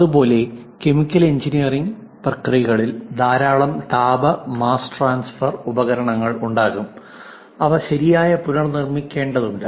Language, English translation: Malayalam, Similarly, for chemical engineering, there will be many heat and mass transfer equipment, and that has to be reproduced correctly